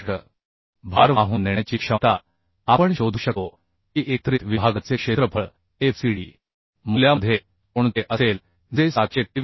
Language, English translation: Marathi, 61 Therefore the load carrying capacity we can find out which will be the area of the combined section into fcd value which is coming 723